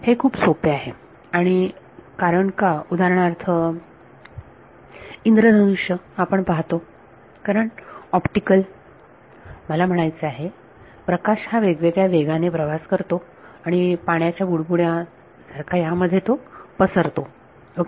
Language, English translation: Marathi, this is very easy and why for example, you have a rainbow because the optical I mean light is travelling at different speeds and the water bubble it disperses ok